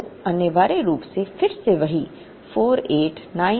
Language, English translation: Hindi, So, essentially again the same 4898